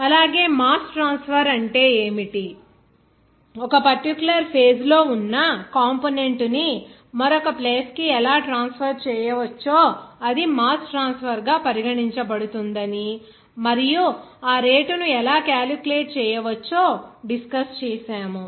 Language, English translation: Telugu, Also, we will discuss that what is the mass transfer, how that one component in a particular phase can be transferred to another place that will be regarded as the mass transfer and how that rate can be calculated